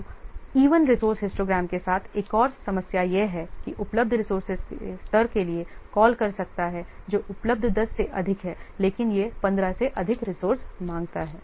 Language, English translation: Hindi, So another problem with an even resource histogram is that it may call for a level of resources beyond those available, 10 are available, but it requires 15 resources